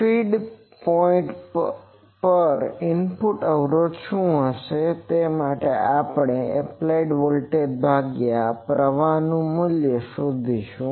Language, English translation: Gujarati, So, if we, because what will be the input impedance at the feed point, we will find out the applied voltage divided by the current